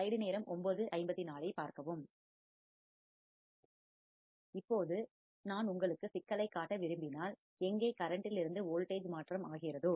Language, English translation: Tamil, Now, if I want to show you problem where there is a current to voltage converter